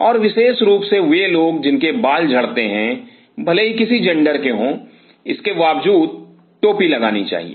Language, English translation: Hindi, And specially those people who have hair falls irrespective of the gender should put the cap